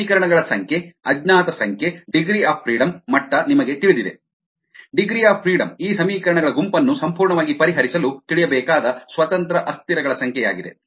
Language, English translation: Kannada, right, number of equations, number of unknowns: you know the degree of freedom concept, the degree of freedom, degrees of freedom is an number of independent variables that are need to be known to solve this set of equation completely